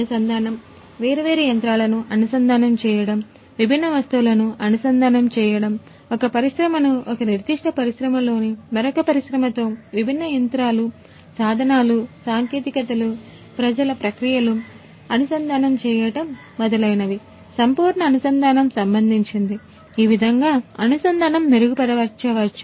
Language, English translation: Telugu, Connectivity – connecting the different machinery, connecting the different objects, one industry with another industry within a particular industry connecting different different machines, tools, technologies, people processes and so on full connectivity how you can improve the connectivity